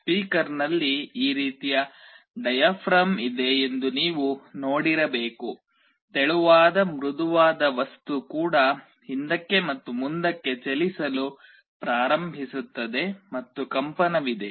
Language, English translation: Kannada, In a speaker you must have seen there is a diaphragm like this on top a thin soft material that also starts moving back and forward, and there is a vibration